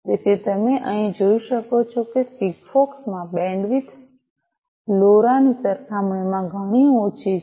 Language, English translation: Gujarati, So, as you can see over here the bandwidth in SIGFOX is much less compared to LoRa